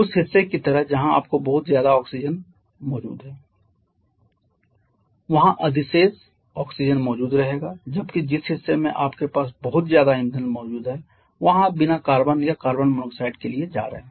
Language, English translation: Hindi, Like the part where you are having too much oxygen present their surplus oxygen will remain whereas the part where you have too much fuel present there you are going to get unburned carbon or carbon monoxide